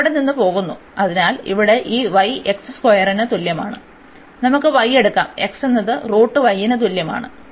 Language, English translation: Malayalam, And it is leaving at, so here from this y is equal to x square, we can take y is x is equal to square root y